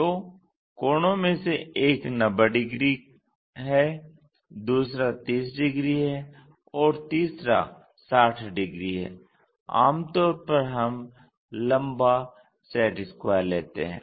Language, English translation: Hindi, So, one of the angle is 90 degrees, other one is 30 degrees, other one is 60 degrees, the long set square what usually we go with